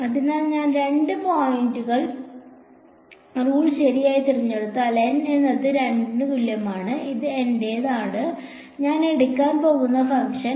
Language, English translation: Malayalam, So, if I chose a 2 point rule right so, N is equal to 2 this is my, the function that I am going to take